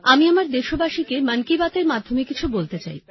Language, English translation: Bengali, Namaskar I want to say something to my countrymen through 'Mann Ki Baat'